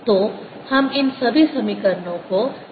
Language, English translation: Hindi, so let's write all these equations again